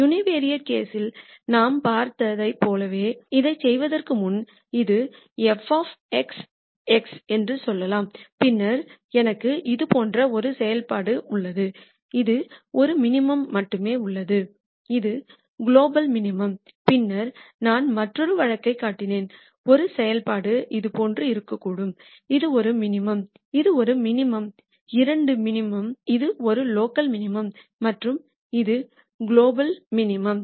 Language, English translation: Tamil, Before we do that just like we saw in the univariate case, let us say this is f of x x and then I have a function like this which has only one minimum which is a global minimum and then I also showed another case where we have a function may be like this where this is one minimum this is one minimum both are minima this is a local minimum and this is a global minimum